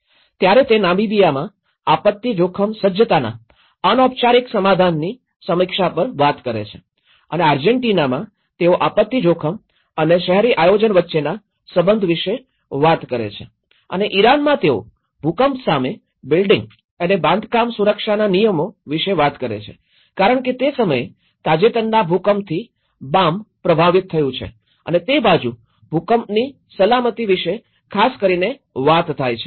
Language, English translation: Gujarati, Whereas in Namibia it talks on the review of informal settlement of disaster risk preparedness and in Argentina they talk about the relationship between disaster risk and urban planning and in Iran they talk about the building and construction safety regulations against earthquake because Bam has been affected by recent earthquake at that time and that side talked about the earthquake safety in very particular